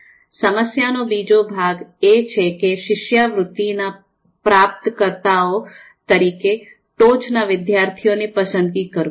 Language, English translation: Gujarati, Now the second part of the problem is to select the top students as recipients of a scholarship